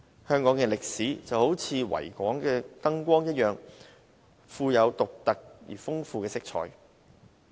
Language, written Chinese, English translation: Cantonese, 香港的歷史就如維港的燈光一樣，富有獨特而豐富的色彩。, The history of Hong Kong is as unique and colourful as the lights of the Victoria Harbour